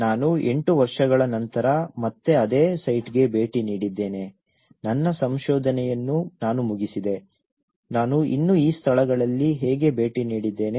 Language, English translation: Kannada, I visited the same site again after eight years though, I finished my research I still visited these places how these things